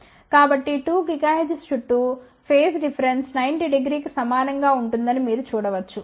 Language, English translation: Telugu, So, you can see that around 2 gigahertz phase shift obtained is around 90 degree